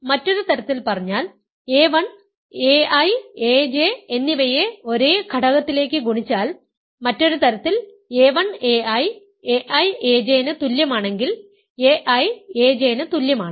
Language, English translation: Malayalam, So, in other words what we are saying is that, if a 1 multiplies a i and a j to the same element, in other words a 1 a i is equal to a i a j then a i is equal to a j